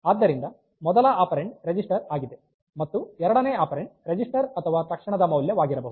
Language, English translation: Kannada, So, the first operand is register, and the second operand can be register or immediate